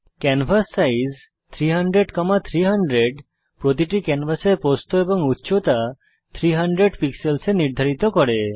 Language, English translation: Bengali, canvassize 300,300 sets the width and height of the canvas to 300 pixels each